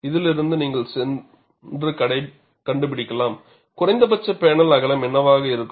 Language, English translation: Tamil, From this, you could also go and find out, what could be the minimum panel width